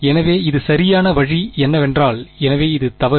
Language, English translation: Tamil, So, the correct way it I mean the so this is wrong